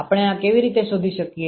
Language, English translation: Gujarati, How do we find this